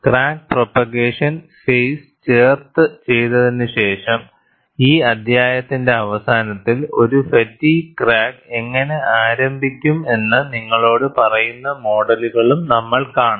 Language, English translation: Malayalam, After discussing the crack propagation phase, towards the end of this chapter, you would also see models that tell you how a fatigue crack gets initiated